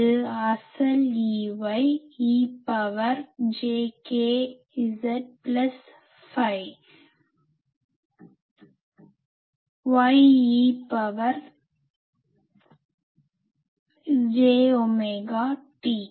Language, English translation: Tamil, It is real E y, E to the power j k z plus phi y E to the power j omega t